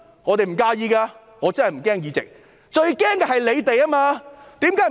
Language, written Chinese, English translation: Cantonese, 我們不介意的，我真的不擔心議席，最擔心的人是他們。, We do not mind . I am not worried about my seat in the Legislative Council . They are the ones who worry the most